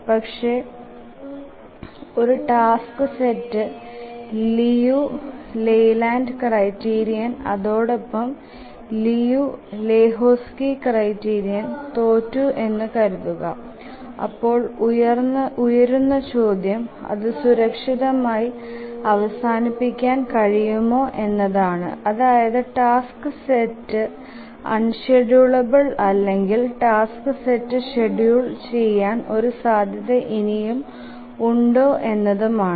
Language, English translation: Malayalam, But just asking this question that suppose a task set fails the Liu Leyland's criterion and also the Liu and Lehochki's criterion, then can we safely conclude that the task set is unschedulable or is there a chance that the task set is still schedulable